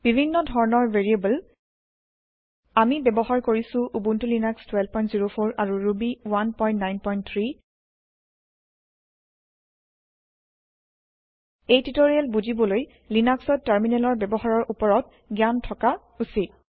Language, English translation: Assamese, Types of variables Here we are using Ubuntu Linux version 12.04 Ruby 1.9.3 To follow this tutorial you must have the knowledge of using Terminal in Linux